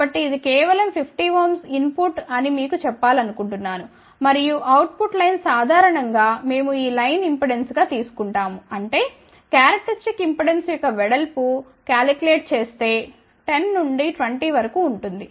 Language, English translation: Telugu, So, just you tell you since this is of the order of 50 ohm input and output line typically we take the impedance of these lines; that means, the width is calculated for corresponding characteristic impedance of may be 10 to 20 ohm